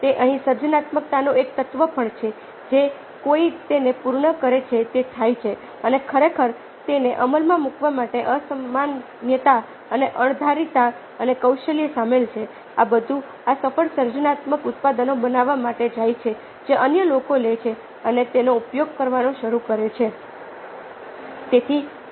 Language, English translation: Gujarati, so here is also an element of creativity: somebody perfects it, makes it happen, and the unusualness and the unpredictability and the skill involved in actually executing it, all these going to making this successful, creative products which other people take up on some making use of